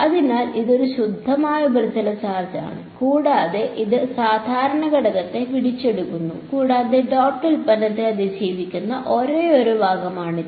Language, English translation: Malayalam, So, this is a pure surface charge and n dot D 2 and n dot D 1, this captures the normal component of D 1 and D 2 that is the only part that will survive the dot product with in an